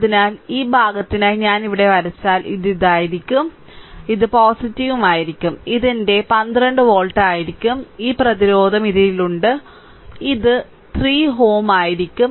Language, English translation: Malayalam, So, if I draw it here for this portion, this will be minus, this will be plus right, this will be my 12 volt, and this resistance is in this ohm it will be 3 ohm right this will be 3 ohm